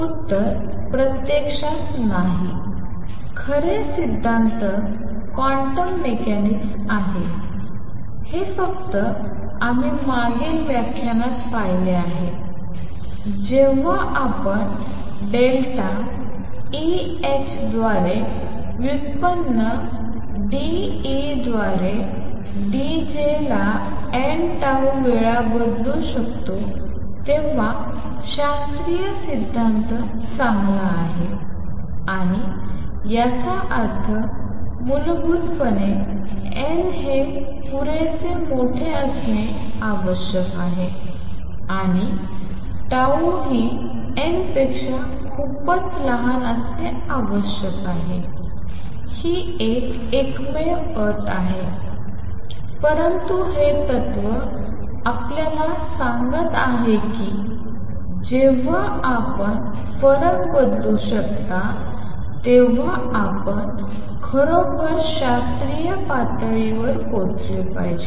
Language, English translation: Marathi, In other words is there a boundary between classical and quantum mechanics the answer is no actually the true theory is quantum mechanics it is only as we saw in the previous lecture only when we can replace delta E by h by the derivative d E by d j times n tau that classical theory holds good and; that means, basically that n has to be large enough and tau has to be much much smaller than n that is the only condition, but what this principle is telling you is that you should actually be approaching classical level when you can replace that the difference by derivative effectively and for that the condition is n is very large and tau is much much smaller than n